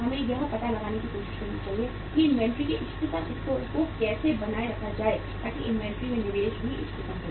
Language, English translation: Hindi, We should try to find out that how to maintain the optimum level of inventory so that investment in the inventory is also optimum